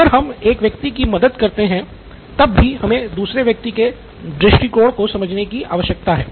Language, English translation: Hindi, Still we are helping out one person but we need to understand the other person’s perspective also